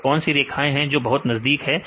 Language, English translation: Hindi, So, what are the lines they are very close to line